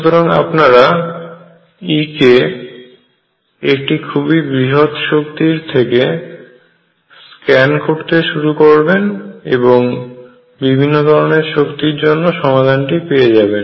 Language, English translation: Bengali, You scan over E start from a very largely negative energy and you start scanning and you will find solutions for different energies